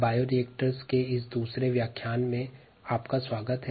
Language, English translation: Hindi, welcome to this ah second lecture on bioreactors